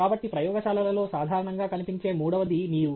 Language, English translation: Telugu, So, then, the third thing that is commonly present in labs is water